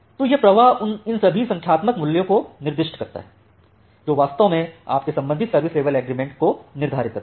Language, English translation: Hindi, So, this flow specifies all these numeric values, which actually determines your corresponding service level agreement